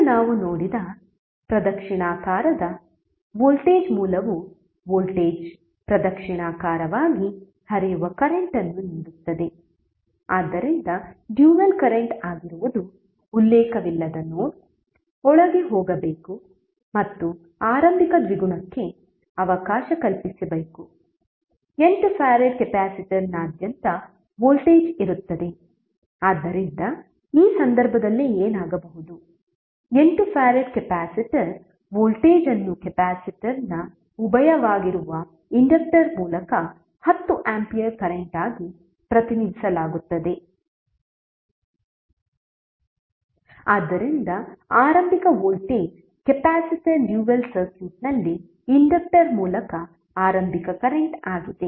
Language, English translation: Kannada, Now the clockwise voltage source which we have seen that means the voltage is giving the current which is flowing in a clockwise, so the dual would be current should be going inside the non reference node and provision must be made for the dual of the initial voltage present across 8 farad capacitor, so in this case what will happen the 8 farad capacitor voltage would be represented as 10 ampere current through the inductor which is the dual of the capacitor